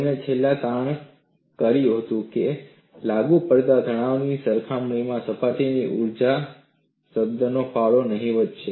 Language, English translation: Gujarati, He finally concluded that the contribution of the surface energy term is negligible in comparison to the applied stresses